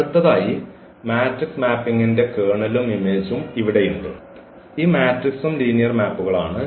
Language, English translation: Malayalam, So, here the kernel and image of the matrix mapping; so, because this matrix are also linear maps